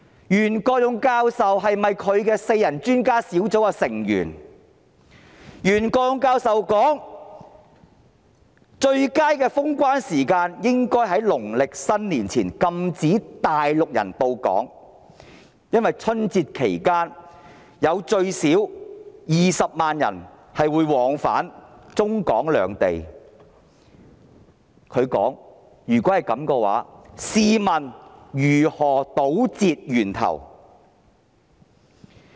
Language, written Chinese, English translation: Cantonese, 袁國勇教授說在農曆新年前封關，禁止內地人來港，應該是最佳的時間，因為春節期間最少有20萬人往返中港兩地，他說如果不及時封關，試問如何堵截源頭？, Prof YUEN Kwok - yung said that it would be best time - wise to implement a lockdown to ban Mainlanders from entering Hong Kong before the Chinese New Year because at least 200 000 people would be travelling between China and Hong Kong during that time . He said that if a lockdown was not implemented in time how could we tackle the problem at source?